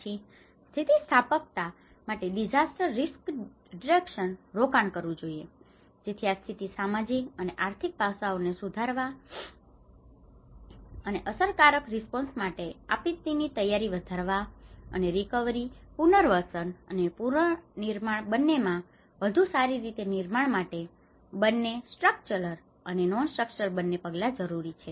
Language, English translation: Gujarati, Then investing in disaster risk reduction for resilience so this is where both the structural and non structural measures are essential to enhance the social and economic aspects and enhance disaster preparedness for effective response and to build back better into both recovery, rehabilitation and reconstruction